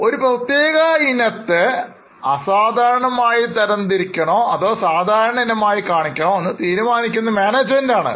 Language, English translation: Malayalam, Now here the judgment is given to the management whether a particular item is to be classified exceptional or to be shown as a normal item